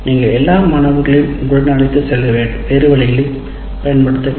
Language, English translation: Tamil, You have to use other means to carry all the students with you